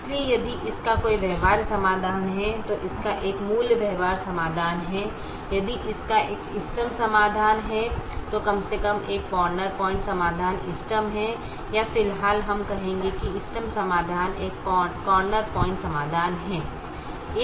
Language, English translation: Hindi, if it has an optimum solution, then atleast one corner point solution is optimum, or at the moment we will say the optimum solution is a corner point solution